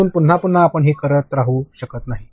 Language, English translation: Marathi, So, again and again you cannot keep doing this